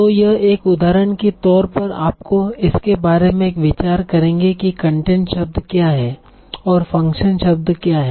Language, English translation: Hindi, So now this is an example to give you an idea about what are content words and what are function words